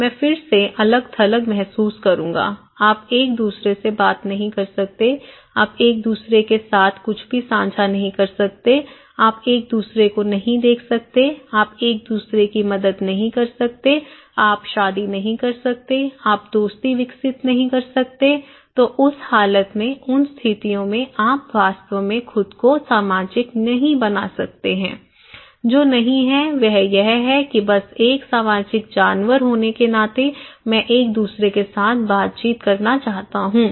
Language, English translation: Hindi, I will again feel isolated, if I say no, you cannot talk to each other, you cannot share anything with each other, you cannot look at each other, you cannot help each other, you cannot marry, you cannot develop friendship; make friendship so, in that condition; in that conditions you cannot really make yourself social so, what is missing is that simply being a social animal, I want interactions with each other